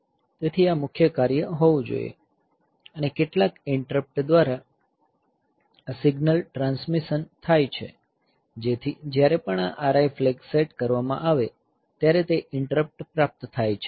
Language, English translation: Gujarati, So, this should be the main job, and this signal transmission, so this should be, by means of some interrupt, this should be by means of some interrupt, so that whenever this R I flag is set that receive interrupt will come